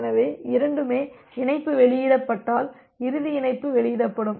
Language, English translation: Tamil, So, when both one is released the connection, then the final connection will get released